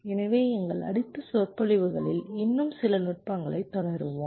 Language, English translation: Tamil, so we shall be continuing with some more techniques later in our next lectures